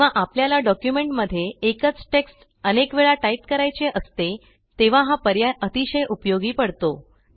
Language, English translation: Marathi, This feature is very helpful when the same text is repeated several times in a document